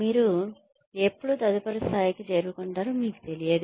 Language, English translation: Telugu, You do not know, when you will be advanced to the next level